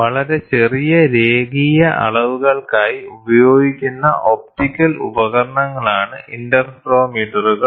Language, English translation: Malayalam, Interferometers are optical instruments that are used for very small linear measurements